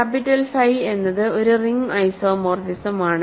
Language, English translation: Malayalam, Now, capital phi is a ring homomorphism